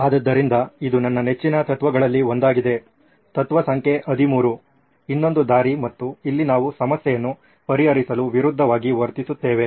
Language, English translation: Kannada, So this one is my favourite, one of my favourites of the principle principle number 13, the other way round and here we do the opposite to solve a problem